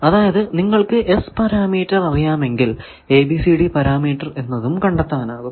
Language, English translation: Malayalam, That if you know S parameter, how to find ABCD parameter you can find this